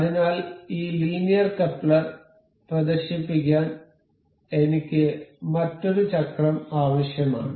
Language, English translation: Malayalam, So, I need another wheel to demonstrate this linear coupler